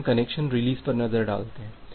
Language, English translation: Hindi, Now, let us look into the connection release